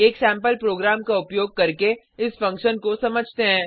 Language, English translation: Hindi, Let us understand this function using a sample program